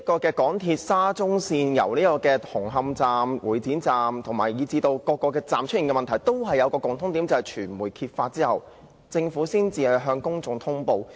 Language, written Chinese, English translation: Cantonese, 港鐵沙中線紅磡站和會展站，以至各個車站出現的問題均有一個共同點，就是在傳媒揭發事件後政府才向公眾通布。, Whether it is the construction works at Hung Hom Station or Exhibition Centre Station under the Shatin to Central Link project or the problems at other railway stations they share one commonality and that is the Government only makes public of the incidents after they are uncovered by the media